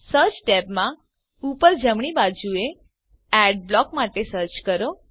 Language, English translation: Gujarati, In the search tab, at the top right corner, search for Adblock